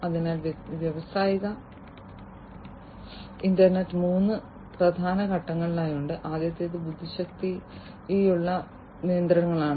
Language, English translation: Malayalam, So, the industrial internet has three key elements, the first one is that intelligent machines